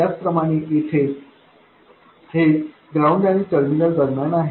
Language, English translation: Marathi, Similarly here, it is between ground and the terminal